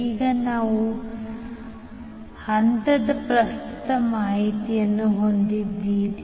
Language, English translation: Kannada, So now you have the phase current information